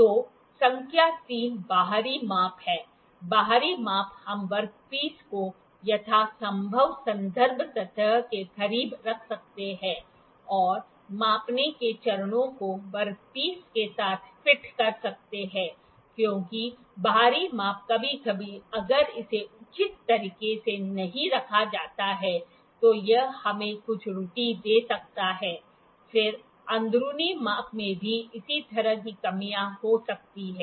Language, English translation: Hindi, So, number 3 is the outside measurement; the outside measurement we can put the work piece as close to the reference surface as possible and have the measuring phases fitted with the work piece because the outside measurement sometimes if it is not put in a proper way it can give us some error then inside measurement also has similar kind of drawbacks may have similar kind of drawbacks inside measurements